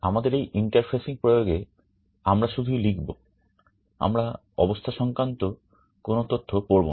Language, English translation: Bengali, In our interfacing application, we would only be writing, we would not be reading the status